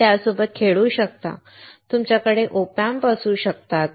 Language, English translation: Marathi, You can play with it, you can have OP Amps